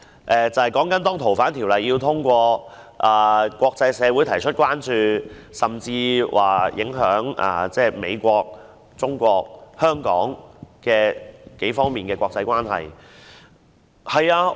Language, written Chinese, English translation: Cantonese, 若然通過修訂《逃犯條例》，則國際社會會提出關注，甚至會影響我們與美國和國際社會的關係。, If amendments proposed to the Fugitive Offenders Ordinance are passed concerns from the international community will be aroused and even our relationships with the United States and the international community will be affected